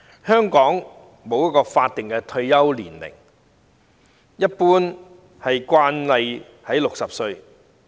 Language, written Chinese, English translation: Cantonese, 香港沒有法定退休年齡，一般的慣例是60歲。, In Hong Kong there is no statutory retirement age and it is the normal practice to retire at 60 years old